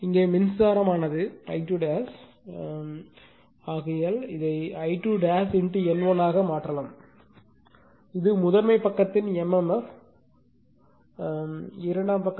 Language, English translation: Tamil, And current here is I 2 dash therefore, you can make it I 2 dash into N 1 that is mmf of the primary side is equal to mmf of the secondary side that is N 2 into your your N 2 into your I 2, right